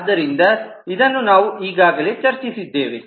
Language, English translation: Kannada, so this example we have already seen